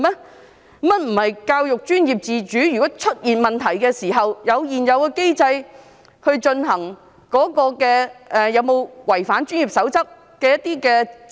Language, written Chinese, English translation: Cantonese, 原來教育界並非享有教育專業自主，如果出現問題時，可按現有機制就有否違反專業守則進行調查？, Is it not true that the education sector enjoys professional autonomy in education and may conduct inquiries on non - compliance with the code of practice under the existing mechanism when problems arise?